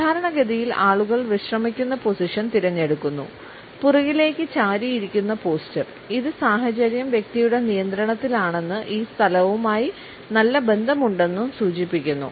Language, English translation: Malayalam, Normally people opt for a relax position, a leaned back posture which indicates that the person is in control, has a positive association with the place